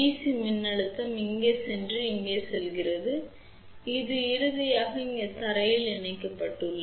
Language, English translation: Tamil, So, the DC voltage goes through here here and goes through over here and is then finally, connected to ground here